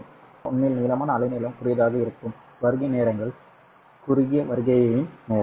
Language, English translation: Tamil, So longer wavelengths will arrive at a longer with a longer arrival time